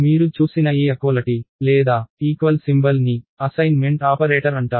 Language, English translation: Telugu, So, this equality or the equal symbol that you saw is called the assignment operator